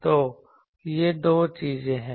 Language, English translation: Hindi, So, these are the two things